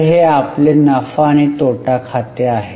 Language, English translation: Marathi, So, this is our profit and loss account